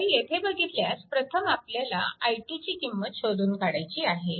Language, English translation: Marathi, So, what is the first you have to find out what is the value of i 2